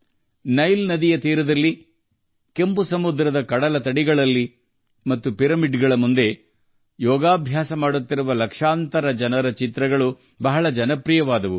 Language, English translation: Kannada, The pictures of lakhs of people performing yoga on the banks of the Nile River, on the beaches of the Red Sea and in front of the pyramids became very popular